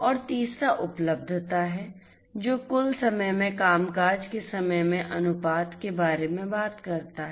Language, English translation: Hindi, And the third one is availability, which talks about the ratio of the time of functioning to the total time